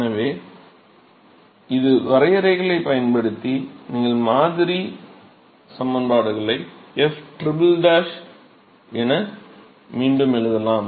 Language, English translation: Tamil, So, using these definitions you can rewrite the model equations as ftriple